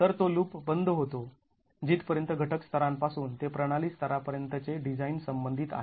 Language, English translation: Marathi, So, that closes the loop as far as the design from component level to system level is concerned